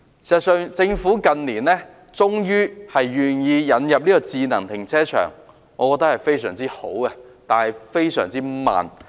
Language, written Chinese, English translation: Cantonese, 事實上，政府近年終於願意引入智能停車場，我覺得很好，但進展非常緩慢。, In fact the Government has finally presented the willingness to introduce smart car parks in recent years . I find it very good but the progress is extremely slow